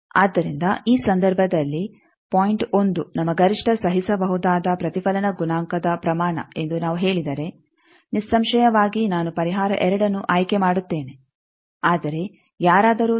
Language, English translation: Kannada, So, in this case suppose if we say that point 1 is our maximum tolerable reflection coefficient magnitude; obviously, I will choose the solution 2 whereas, if someone says no the 0